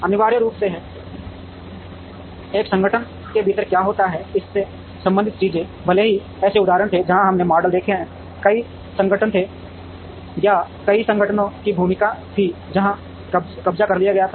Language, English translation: Hindi, Essentially, things related to what happens within an organization, even though there were instances, where we have seen models, were multiple organizations or the role of multiple organizations, where captured